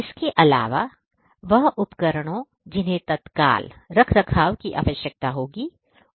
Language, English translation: Hindi, Also the devices which would need immediate maintenance, they would be identified